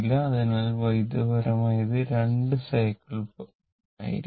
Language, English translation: Malayalam, So, electrically, it will be 2 cycles right